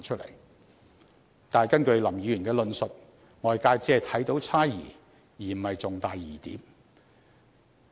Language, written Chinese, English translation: Cantonese, 然而，根據林議員的論述，外界只看到猜疑而不是重大的疑點。, However the wider community can only hear speculations but not any major issues of suspicion from Mr LAMs arguments